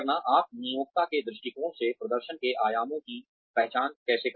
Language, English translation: Hindi, How do you identify the performance dimensions, from the employer's perspective